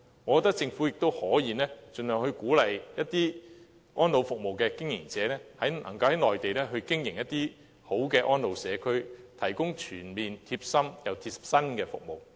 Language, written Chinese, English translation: Cantonese, 我覺得政府亦可以盡量鼓勵一些安老服務的經營者，在內地經營質素良好的安老社區，提供全面又貼心的服務。, The Government can also encourage elderly care service providers to build high - quality elderly care communities on the Mainland as much as possible for the provision of comprehensive and user - friendly services